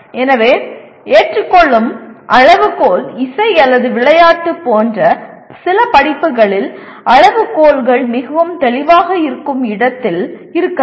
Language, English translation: Tamil, So criterion of acceptance that can in some courses like music or sports there can be where the criteria are very clear